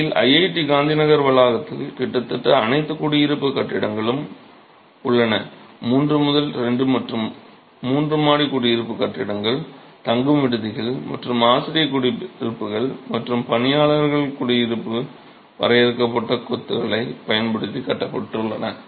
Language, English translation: Tamil, In fact, the IIT Gandhyaaga campus has almost all the residential buildings, three two and three storied residential buildings, hostels and faculty blocks and staff housing constructed using confined masonry